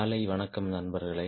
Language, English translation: Tamil, good morning friends